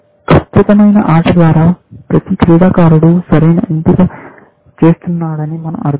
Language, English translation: Telugu, By perfect play, we mean that each player is making the correct choice, essentially